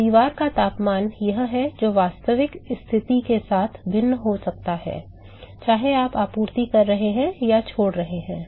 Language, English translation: Hindi, So, the temperature of the wall is the one which is going be vary with the actual position right you are supplying or leaving